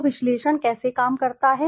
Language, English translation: Hindi, So, how does conjoint analysis work